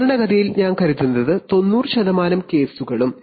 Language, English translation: Malayalam, And typically in I think around ninety percent of the cases